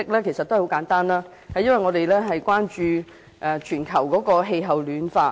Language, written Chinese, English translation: Cantonese, 原因很簡單，因為我們關注全球暖化的問題。, The reason is simple . The reason is that we are concerned about global warming